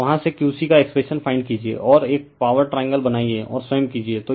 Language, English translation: Hindi, And from there you find out the expression of Q c right you draw a power triangle and you do yourself